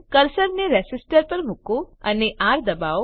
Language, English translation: Gujarati, Place the cursor on the resistor and press R